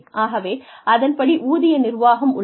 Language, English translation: Tamil, So, salary administration